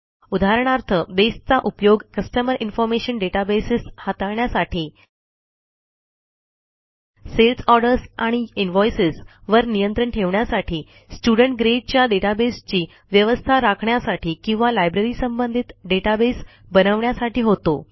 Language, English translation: Marathi, For example, Base can be used to manage Customer Information databases, track sales orders and invoices, maintain student grade databases or build a library database